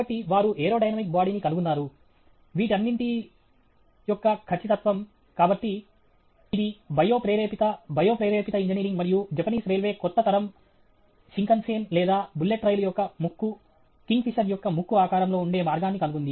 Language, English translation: Telugu, So, they figured out the aero dynamic body, the precision all, this; so, it is bio inspired, bio inspired engineering and the Japanese Railway figured out a way by which now the nose cone of the new generation Shinkansen or the bullet train, it is shaped like the beak of a kingfisher